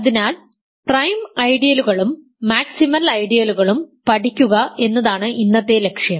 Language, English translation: Malayalam, So, the goal today is to study prime ideals and maximal ideals